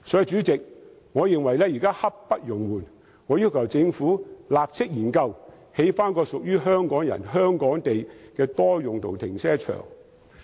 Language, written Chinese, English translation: Cantonese, 主席，我認為現時刻不容緩，我要求政府立即研究興建一個屬於香港人、香港地的多用途停車場。, President I think the matter can brook no further delay . I demand that a study be undertaken by the Government immediately to construct a multi - purpose car park which belongs to Hong Kong and people of Hong Kong